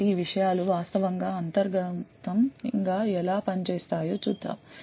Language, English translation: Telugu, So, let us see how these things actually work internally